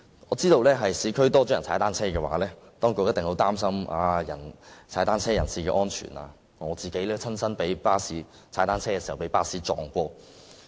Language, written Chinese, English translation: Cantonese, 我知道若在市區踏單車的市民增多，當局一定會擔心踏單車人士的安全，我自己亦曾在踏單車時被巴士撞倒。, I know that if more people cycle in the urban areas the authorities will certainly worry about the safety of cyclists . I myself was once knocked down by a bus when I was cycling